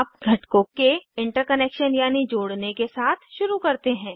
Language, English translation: Hindi, Let us start with the interconnection of components